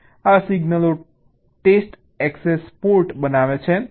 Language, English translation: Gujarati, so actually these will be the test access port signals